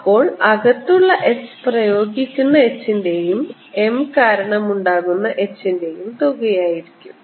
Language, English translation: Malayalam, h inside is going to be the applied h plus h due to m